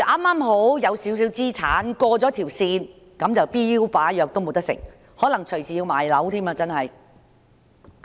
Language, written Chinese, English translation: Cantonese, 假如有少許資產，剛好超過上限，那便連標靶藥也不能服食，可能隨時要賣樓治癌。, Those with a small amount of assets which just exceeds the upper limit will not be able to take targeted therapy drugs . They may have to sell their properties to treat cancer